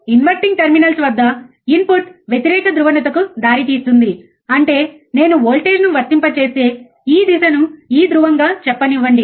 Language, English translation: Telugu, Now, the input at the inverting terminals result in opposite polarity; that means, that we have seen that if I apply a voltage, right which let us say this polar this phase